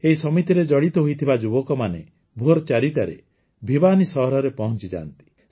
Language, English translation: Odia, The youth associated with this committee reach Bhiwani at 4 in the morning